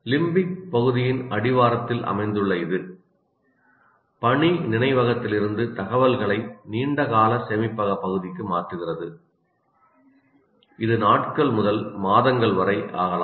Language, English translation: Tamil, Located at the base of the limbic area, it converts information from working memory to the long term storage region which may take days to months